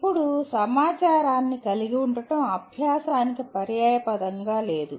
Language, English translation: Telugu, Now, possession of information is not synonymous with learning